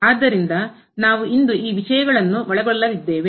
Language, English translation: Kannada, So, these are the topics we will be covering today